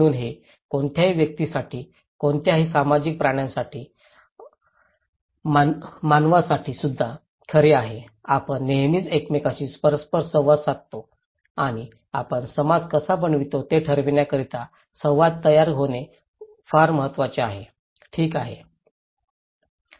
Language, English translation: Marathi, So that is also true for any individuals, any social animals, human beings, we always seek interactions with each other and thatís how we form society so, interaction is so very important to form necessary to form a society, okay